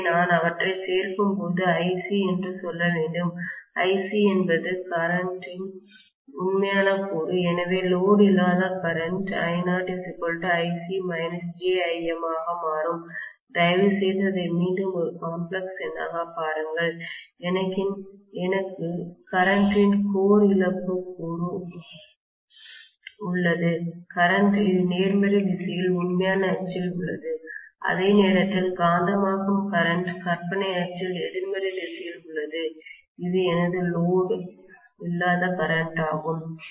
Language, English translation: Tamil, So when I add them I have to say IC is the real component of current so the no load current will become IC plus j or minus j it is minus J Im please look at it a complex number again, I have the core loss component of current, which is in the real axis along the positive direction whereas magnetising current is in the imaginary axis along the negative direction this is my no load current, Is that clear